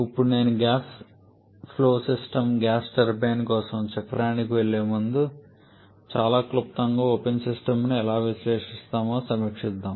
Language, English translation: Telugu, Now before I go to the cycle for a gas flow system gas turbine very briefly let us review how we analyze an open system